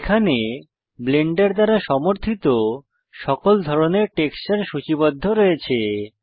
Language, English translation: Bengali, Here all types of textures supported by Blender are listed